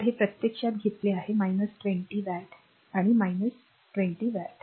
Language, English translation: Marathi, So this is actually took minus 20 watt and minus 20 watt